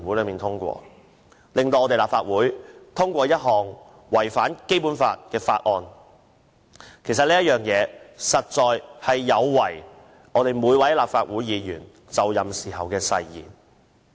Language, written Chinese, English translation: Cantonese, 最後，立法會如通過這項違反《基本法》的《條例草案》，實有違每位立法會議員就任時的誓言。, Lastly if this Bill which contravenes the Basic Law is eventually passed by the Legislative Council this would violate the oath taken by every Legislative Council Member when they took office